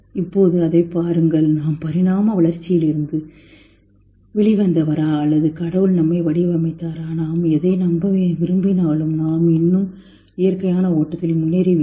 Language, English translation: Tamil, Whether we were bought out of evolution or God designed us, whatever, whatever we want to believe, we still have moved on in a natural flow